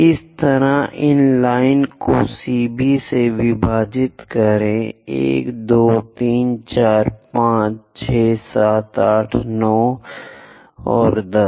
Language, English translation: Hindi, Similarly divide this line CB also; 1, 2, 3, 4, 5, 6, 7, 8, 9 and 10